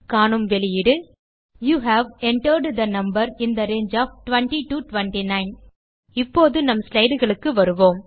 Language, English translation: Tamil, The output is displayed as: you have entered the number in the range of 20 29 Now let us switch back to our slides